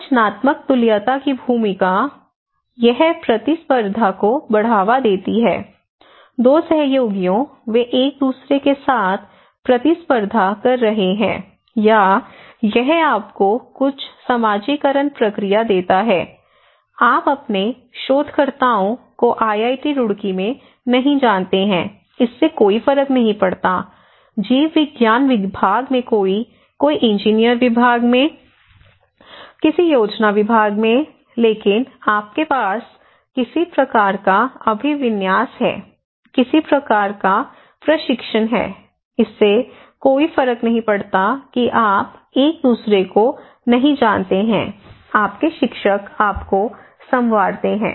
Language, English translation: Hindi, The role of structural equivalence, it promotes competition, 2 colleagues, they are competing with each other or it kind of gives you some socialization process, you do not know your researchers in IIT Roorkee, does not matter, somebody in biology department, somebody in engineering department, somebody in a planning department but you have some kind of orientation, some kind of training, it does not matter if you do not know each other, your teachers grooming you